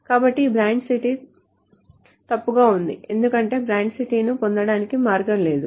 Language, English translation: Telugu, This branch city would have been wrong because there is no way to get the branch city